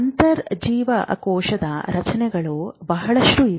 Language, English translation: Kannada, There are a lot of intracellular structures